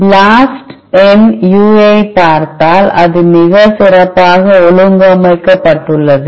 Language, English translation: Tamil, If you look at the UI of the BLAST, it is very well organized